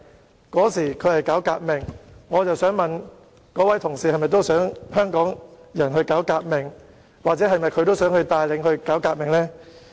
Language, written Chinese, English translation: Cantonese, 毛澤東當時是搞革命，我想問那位同事：他是否想香港人搞革命，或是否想帶領人民搞革命？, MAO Zedong was staging a revolution at the time; may I ask the Honourable colleague if he wants Hong Kong people to stage a revolution or if he wants to lead the people in staging a revolution?